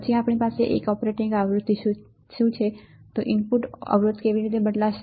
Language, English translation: Gujarati, Then we have now what is the operating frequency, how the input resistance would change